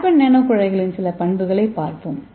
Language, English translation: Tamil, So let us see what is carbon nano tube